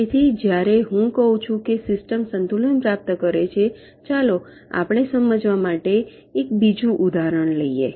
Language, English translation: Gujarati, ah, so when i say system achieves equilibrium, lets take another example to illustrate this